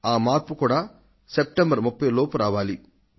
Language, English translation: Telugu, And this has to change before 30th September